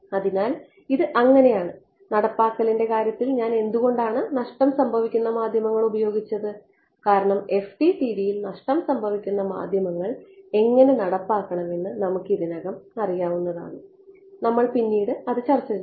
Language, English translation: Malayalam, So, this is so, in terms of implementation why did I sort of take recourse to lossy media because we already know how to implement lossy media in FDTD is not it we will discuss that